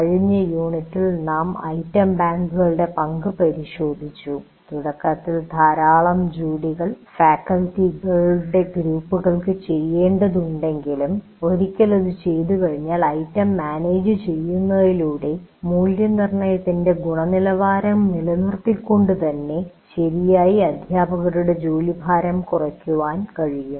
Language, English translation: Malayalam, So in the last unit we looked at the role of item banks, how they can, though initially a lot of work this needs to be done by groups of faculty, but once it is done and by managing the item bank properly, it is possible to reduce the load on the faculty while maintaining good quality of assessment